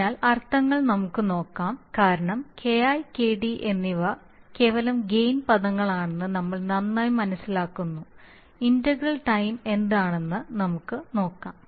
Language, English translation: Malayalam, So let us see the meanings because Ki and Kd we understand very well they are just simply the gain terms, so let us see what is integral time